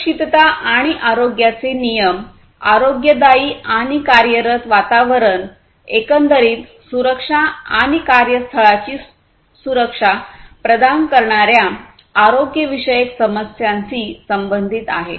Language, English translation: Marathi, Safety and health regulations will concern the health issues providing healthy and working environment and also the overall safety, workplace safety, and so on